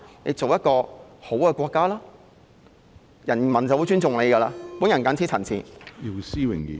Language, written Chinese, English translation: Cantonese, 成為一個好的國家，人民便會由心而發地尊重它。, If the country becomes a better country people will respect it sincerely